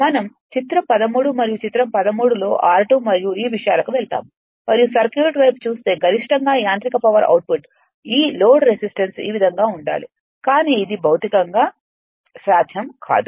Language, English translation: Telugu, We go to figure 13 right and figure 13 r 2 dash and these things you right and you just look at the circuit that for maximum your what you call mechanical power output this load resistance must be is equal to this one, but it is physically not possible